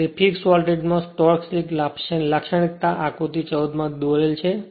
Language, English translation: Gujarati, So, the torque slip characteristic at fixed voltage is plotted in figure 14